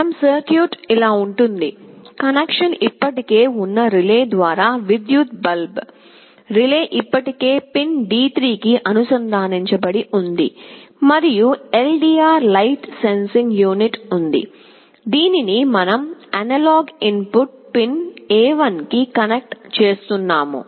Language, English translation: Telugu, Our circuit is like this; the electric bulb through relay that connection is already, the relay is still connected to the pin D3, and there is an LDR light sensing unit, which we are connecting to analog input pin A1